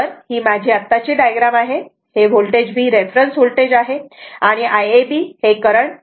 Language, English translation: Marathi, So, this is my present diagram this is V is the reference one right angle 0 degree and I ab actually leading voltage 10